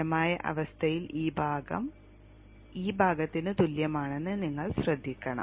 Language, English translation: Malayalam, In the steady state you should note that this area is equal to this area